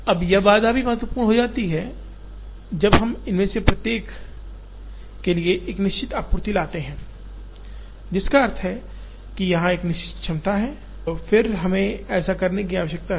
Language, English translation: Hindi, Now, this constraint also becomes important, when we bring a certain supply to each one of these which means, there is a capacity here and then we need to do this